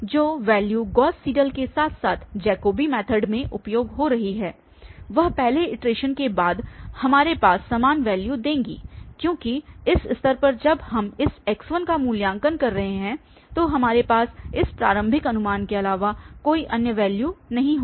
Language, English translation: Hindi, So, after this first iteration the value using the Gauss Seidel as well as using the Jacobi method we have the same value, because at this stage when we are evaluating this x1, we do not have any other value then this initial guess